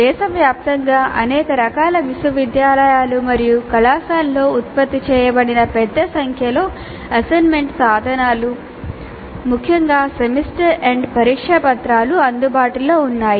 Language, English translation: Telugu, Now looking at a large number of assessment instruments generated in a wide variety of universities and colleges across the country, particularly the semester and exam papers are available across many institutes